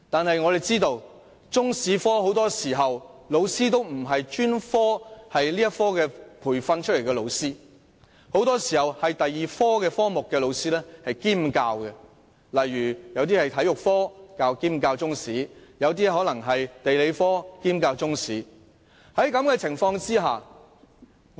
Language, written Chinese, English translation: Cantonese, 可惜，很多時候，中史科老師都不是專科培訓出來，反而是其他科目的老師兼教中史，例如，體育科老師兼教中史或地理科老師兼教中史。, Unfortunately Chinese History teachers very often have not received specialized training and teachers of other subjects have to double up as Chinese History teachers; for example Physical Education teachers have to double up as Chinese History teachers or Geography teachers have to double up as Chinese History teachers